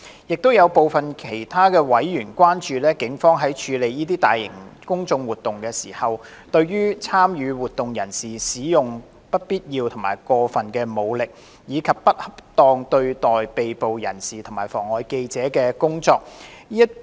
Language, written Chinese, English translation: Cantonese, 亦有部分其他委員關注警方在處理大型公眾活動時，對參與活動人士使用不必要和過分武力，以及不恰當對待被捕人士及妨礙記者工作。, Some other members however were concerned that when handling large - scale public order events the Police had used unnecessary and excessive force against members of the public who participated in the events inappropriately treated arrested persons and hindered the work of reporters